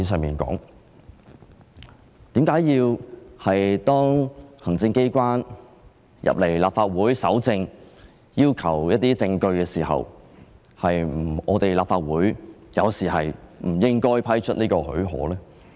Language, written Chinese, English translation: Cantonese, 為何當行政機關進入立法會搜證時，立法會有時候不應批出許可？, Why should the Council not give leave sometimes for the executive authorities to enter the Legislative Council Complex to collect evidence?